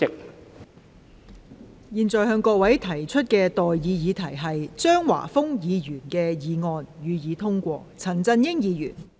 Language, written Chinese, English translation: Cantonese, 我現在向各位提出的待議議題是：張華峰議員動議的議案，予以通過。, I now propose the question to you and that is That the motion moved by Mr Christopher CHEUNG be passed